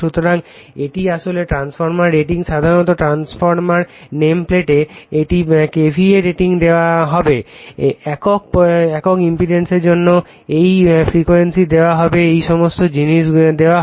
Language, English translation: Bengali, So, this is actually transformer rating generally on the transformer nameplate you will find it is K V a rating will be given right, this frequency will be given for unit impedance will be given all this things will be given